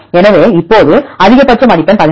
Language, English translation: Tamil, So, now, the maximum score is 18